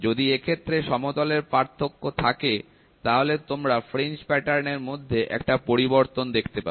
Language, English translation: Bengali, If there is a difference in flatness, then you can see there is a shift in the fringe patterns which is done